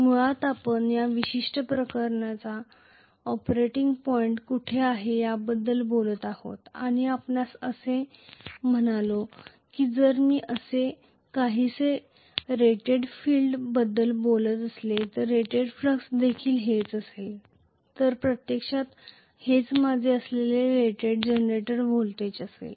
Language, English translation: Marathi, we were talking about basically where is the operating point for this particular case and we said that if I am going to talk about the rated field current somewhat like this, this is what will be the rated flux as well, so this will be actually my rated generated voltage